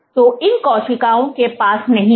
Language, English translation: Hindi, So, these cells did not have